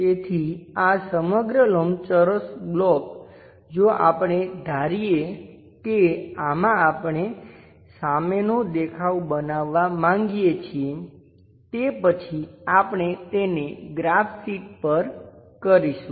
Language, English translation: Gujarati, So, this entire rectangular block if let us assume that in this we would like to construct approximate front view after that we will do it on the graph sheet